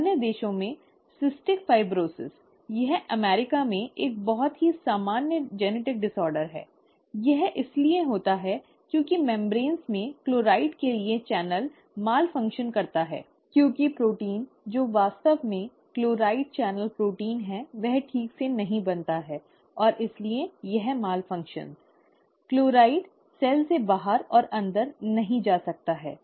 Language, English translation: Hindi, In other countries, cystic fibrosis; it is a very very common genetic disorder in the US; it arises because the channel for chloride in the membranes malfunctions, okay, because the protein which is actually the, the channel the chloride channel protein, that is not properly formed and therefore, that malfunctions, the chloride cannot move in and out of the cell